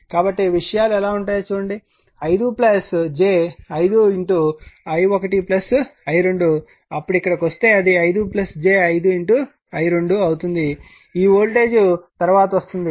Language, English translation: Telugu, So, look how things are it will be 5 plus j 5 i 1 plus i 2 right, then here if you will come it will be 5 plus j 5 i 2 right; this voltage will come later